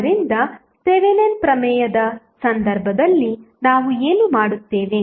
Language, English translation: Kannada, So, what we do in case of Thevenin's theorem